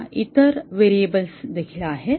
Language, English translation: Marathi, Now, there are other variables as well